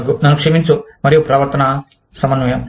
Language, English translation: Telugu, excuse me, and behavioral coordination